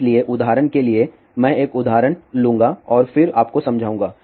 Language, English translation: Hindi, So, for example, I will take an example and then I will explain you